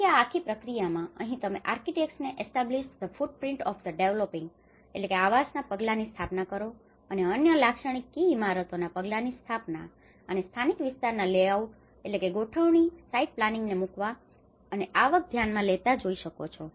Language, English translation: Gujarati, So, this whole process will take, and even here you can see architects talk about establish the footprints of the dwellings and other typical key buildings and drop local area layouts and site planning and consider income